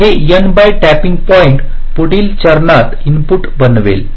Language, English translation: Marathi, so these n by two tapping points will form the input to the next step